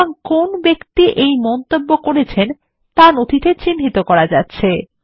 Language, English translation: Bengali, Thus the person making the comment is identified in the document